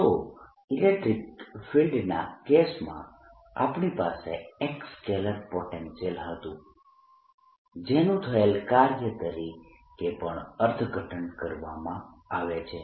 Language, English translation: Gujarati, so in the case of electric field we had a scalar potential, v r, which is also interpreter as the work done in the case of magnetic field